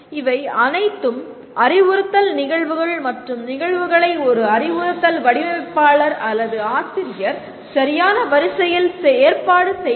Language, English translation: Tamil, These are all instructional events and an instructional designer or the teacher will organize these events in a proper sequence